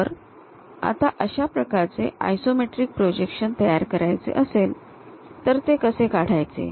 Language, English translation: Marathi, Now, how to draw such kind of isometric projections